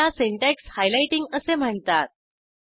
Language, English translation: Marathi, This is called syntax highlighting